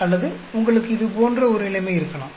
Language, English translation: Tamil, Or you may have a situation like this